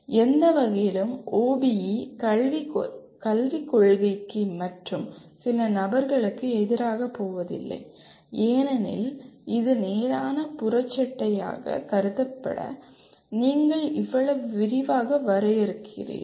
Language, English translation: Tamil, In no way OBE kind of goes against the spirit of education and some people because you are defining so much in detail it is considered as a straight jacket